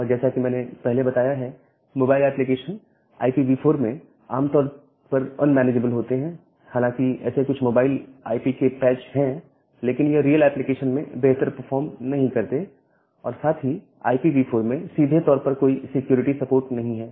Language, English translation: Hindi, And as I have mentioned that, mobile applications are in general unmanageable in IPv4 although, there are certain patch of mobile IP but that does not perform good in a real application and there is no direct security support in IPv4